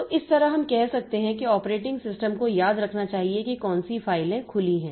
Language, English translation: Hindi, So, in this way we can say that the corporate operating system must remember what is the what are the files that are open